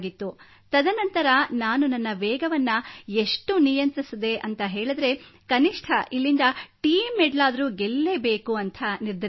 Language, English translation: Kannada, After that, I controlled my speed so much since somehow I had to win the team medal, at least from here